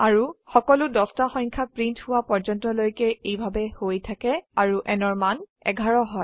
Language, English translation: Assamese, And so on till all the 10 numbers are printed and the value of n becomes 11